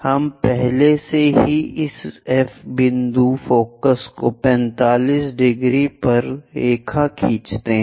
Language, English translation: Hindi, We have already this F point focus draw a line at 45 degrees